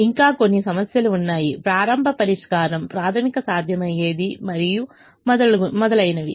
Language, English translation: Telugu, there are still some issues involved: the starting solution has to be basic, feasible and so on